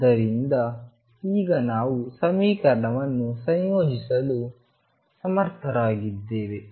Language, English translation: Kannada, So, now we are able to integrate the equation